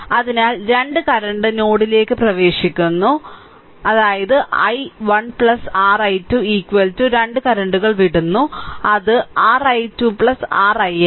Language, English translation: Malayalam, So, 2 current are entering into the node that is i 1 plus your 12 is equal to 2 currents are leaving that is your i 2 plus your i x right ah